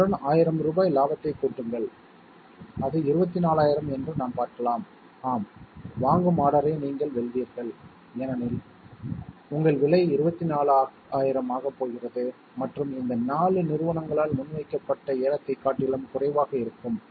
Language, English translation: Tamil, Add to that a profit of 1000 rupees that we would like to have that is 24,000 let us see, yes you win the purchase order because your price is going to be 24,000 and is going to be lower than any of the bids which are put forth by these 4 companies